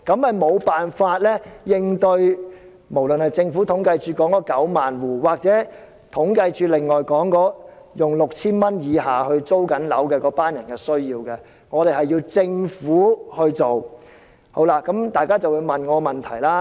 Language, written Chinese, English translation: Cantonese, 這做法無法應付統計處所說的9萬戶，或是正在支付 6,000 元以下租金的那一群人的需要，這方面的工作需要由政府來做。, This approach cannot cater for the needs of the 90 000 households mentioned by CSD or the group of people who are paying rent below 6,000 . The Government has to take up the work in this aspect